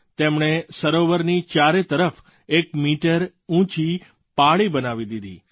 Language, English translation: Gujarati, They built a one meter high embankment along all the four sides of the lake